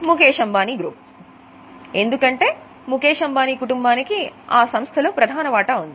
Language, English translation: Telugu, The promoter group is Mukesh Ambani group because Mukesh Ambani and family owns major stake in the company